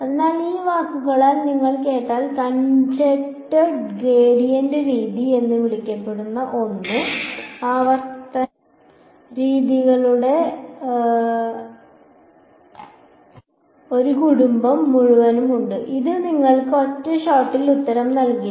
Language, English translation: Malayalam, So, something called conjugate gradient method if you heard these words there are there is a whole family of iterative methods which will solve which will not give you the answer in one shot